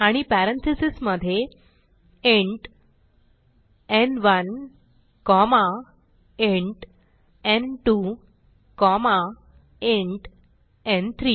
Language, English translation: Marathi, AndWithin parentheses int n1 comma int n2 comma int n3